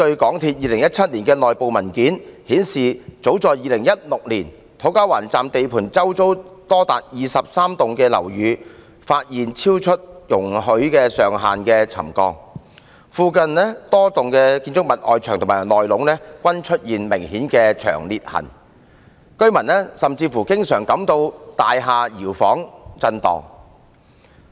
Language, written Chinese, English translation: Cantonese, 港鐵公司2017年的內部文件顯示，早在2016年便發現土瓜灣站地盤周圍多達23幢樓宇出現超出容許上限的沉降，附近多幢建築物的外牆及內部均出現明顯的長裂痕，居民甚至經常感到大廈搖晃震動。, MTRCLs internal documents dated 2017 have revealed that settlement exceeding the pre - set thresholds had been observed at 23 buildings in the vicinity of the To Kwa Wan Station site as early as in 2016 . Obvious long cracks were noticed on the external walls of and inside many buildings nearby while the residents often felt the shaking of their buildings